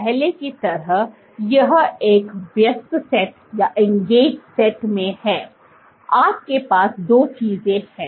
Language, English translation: Hindi, Like before, so this is in an engaged set, you have two things